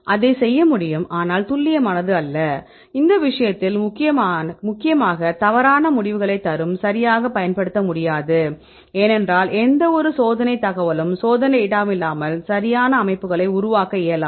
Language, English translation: Tamil, But we can do that, but that is not accurate, but will give mainly wrong results in this case that cannot be used right because we need at least some sort of experimental data right without any experimental information right